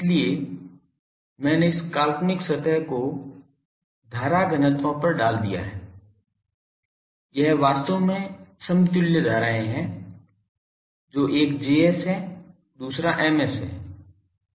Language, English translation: Hindi, So, I put on this imaginary surface to current densities, this is actually equivalent currents one is Js another is M s